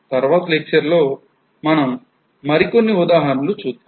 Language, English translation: Telugu, In the next lecture we will go through some more examples